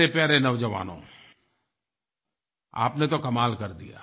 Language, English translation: Hindi, My dear youngsters, you have done a commendable job